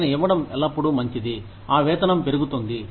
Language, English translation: Telugu, It is always nice to give them, those pay raises